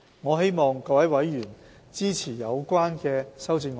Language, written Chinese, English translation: Cantonese, 我希望各位委員支持有關修正案。, I hope Members can support the relevant amendments